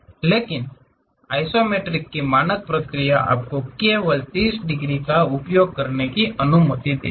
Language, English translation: Hindi, But the standard process of isometric is, you are permitted to use only 30 degrees